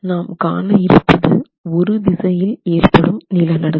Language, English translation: Tamil, We are looking at earthquake action in one direction